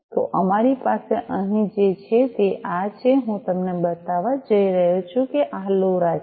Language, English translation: Gujarati, So, what we have over here this is this, I am going to show you this is this LoRa